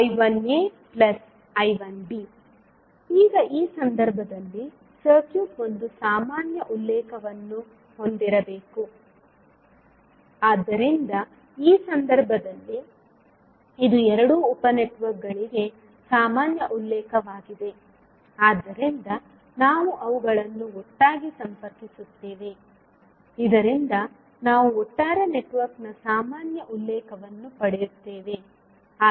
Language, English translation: Kannada, Now, in this case the circuit must have one common reference, so in this case this is the common reference for both sub networks, so we will connect them together so that we get the common reference of overall network